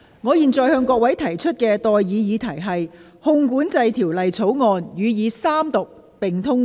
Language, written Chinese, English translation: Cantonese, 我現在向各位提出的待議議題是：《汞管制條例草案》予以三讀並通過。, I now propose the question to you and that is That the Mercury Control Bill be read the Third time and do pass